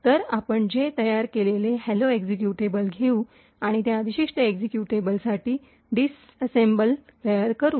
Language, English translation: Marathi, So, what we do is we take the hello executable that we have created, and we could actually create the disassemble for that particular executable